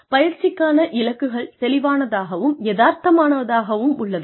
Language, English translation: Tamil, Are the goals of training, clear and realistic